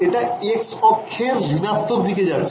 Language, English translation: Bengali, It is traveling in the minus x direction